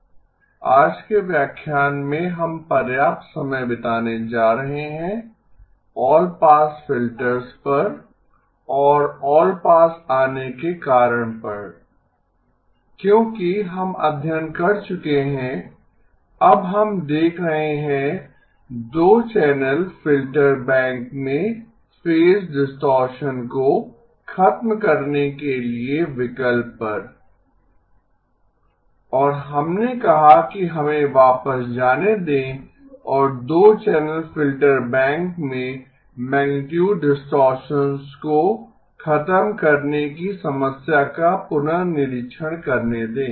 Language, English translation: Hindi, Today's lecture we are going to spend a substantial amount of time on the all pass filters and the reason allpass comes in is because we are now we have studied the looked at the option of eliminating phase distortion in a 2 channel filter bank and we said let us go back and relook at the problem of eliminating magnitude distortion in a 2 channel filter bank